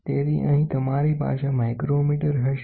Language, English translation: Gujarati, So, here you will have a micrometre